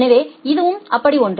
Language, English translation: Tamil, So, it is something like that